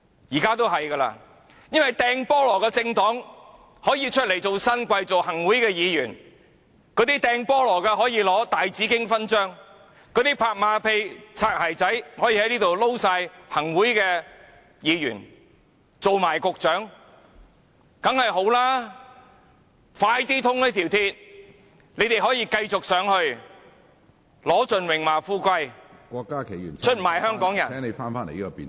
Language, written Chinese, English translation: Cantonese, 現在一個擲"菠蘿"的政黨可以成為新貴、行政會議成員，那些擲"菠蘿"的人可以獲大紫荊勳章，那些拍馬屁、"擦鞋仔"的人，可以成為行政會議成員和局長，這當然好，高鐵快點通車，讓他們可以上去享盡榮華富貴，出賣香港人......, A political party member who threw a pineapple has now become a new star and a member of the Executive Council . People who threw a pineapple can be awarded a Grand Bauhinia Medal . Those bootlickers and shoe - shiners can become Executive Council members and Directors of Bureaux